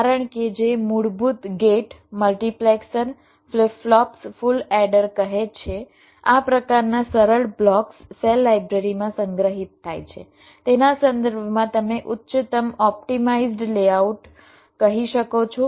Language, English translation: Gujarati, some of them are shown, some that the basic gates, multiplexers, flip plops say, say full header, this kind of simple blocks are stored in the cell library in terms of, you can say, highly optimized layouts